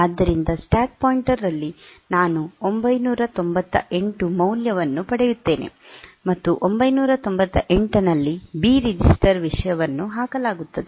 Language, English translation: Kannada, So, stack pointer will become I will get the value 998, and the at 998 the B register content will be put